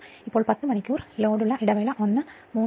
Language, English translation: Malayalam, Now interval one that is 10 hours load is 3 by 0